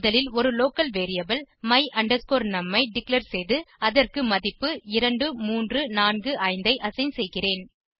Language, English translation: Tamil, First, I declare a local variable my num and assign the value 2345 to it